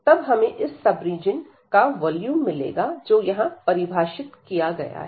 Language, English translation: Hindi, So, we will get again this volume of this sub region, which is define here